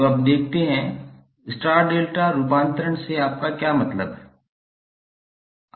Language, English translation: Hindi, So now let us see, what do you mean by star delta transformer, transformation